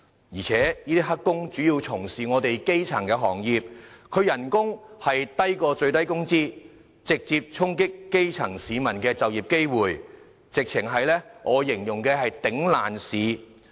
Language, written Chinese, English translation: Cantonese, 而且這些"黑工"主要從事基層行業，工資較最低工資低，直接衝擊基層市民的就業機會，我形容為"簡直是'頂爛市'"。, Since these illegal workers are mainly engaged in elementary occupations with wages even lower than the minimum wage level they impose direct impact on the employment opportunities of the grassroots and they are precisely crowding out local workers with their low wage level